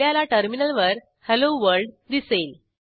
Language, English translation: Marathi, You can see Hello World is displayed on the terminal